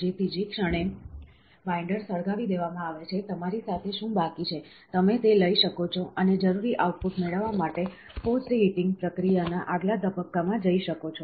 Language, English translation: Gujarati, So, moment the binder is burned so, what is left with you, you can take that, and go for next stage of post heating process, to get the required output